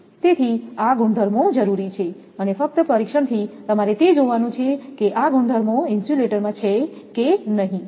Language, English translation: Gujarati, So, these properties are required and from the testing only, you have to see that whether this property holds or not for the insulator